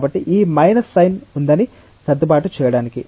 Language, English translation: Telugu, So, to adjust that this minus sign is there